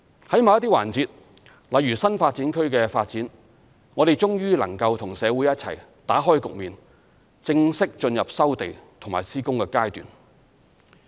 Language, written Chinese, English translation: Cantonese, 在某些環節例如新發展區的發展，我們終於能夠與社會一起打開局面，正式進入收地及施工階段。, In certain aspects such as the development of NDAs we are finally able to break new ground together with the community formally proceeding to the land resumption and construction stages